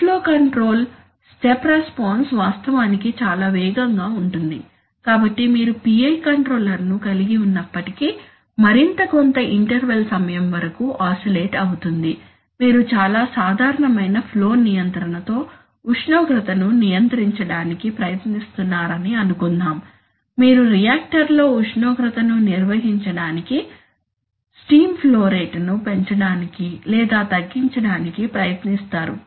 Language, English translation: Telugu, In flow control the step response is actually very fast, so therefore even if you include a PI controller and it little bit oscillates for some time that interval, suppose you are trying to control temperature with flow control which is very common, you try to increase or decrease the steam flow rate to maintain the temperature in the reactor